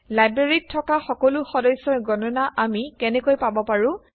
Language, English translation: Assamese, How can we get a count of all the members in the library